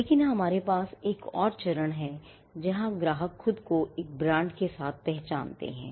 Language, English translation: Hindi, But we also have another stage where, customers identify themselves with a brand